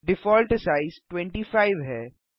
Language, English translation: Hindi, The default size is 25